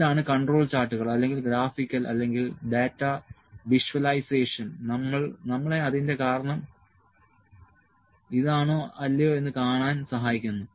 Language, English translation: Malayalam, This is what the control charts or the graphical or the data visualisation do helps us to see whether this could be the reason or not